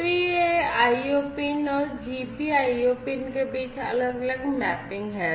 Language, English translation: Hindi, So, these are the different mapping between the IO pins and the GPIO, you know, the GPIO pins